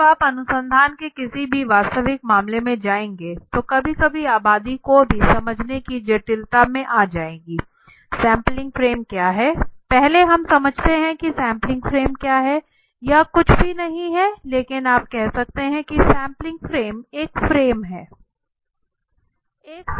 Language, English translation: Hindi, But when you will go into any live real case of research you will get into a complicacy of understanding the even the populations sometimes right what is the sampling frame first let us understand what is sampling frame the sampling frame is nothing but it is like a you can say the sampling frame is a frame or a